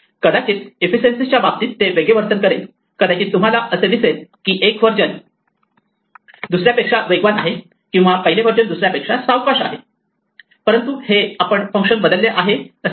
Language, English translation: Marathi, They may behave differently in terms of efficiency, you might see that one version is faster than another or one version slower than another, but this is not the same as saying that the functions change